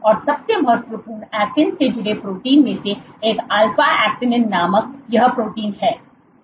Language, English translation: Hindi, And one of the most important actin associated proteins is this protein called alpha actinin